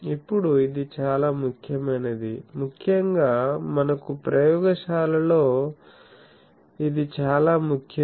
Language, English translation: Telugu, Now, since it is so, important particularly for us, we in laboratories this is important